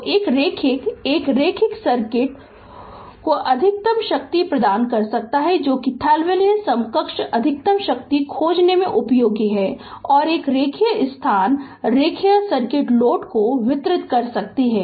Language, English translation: Hindi, So, a linear a linear circuit can deliver to a load right maximum power that is the Thevenin equivalent useful in finding maximum power and a linear site can linear circuit can deliver to a load